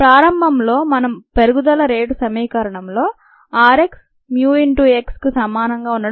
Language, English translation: Telugu, initially we saw expressions for rate of growth: r x equals mu, x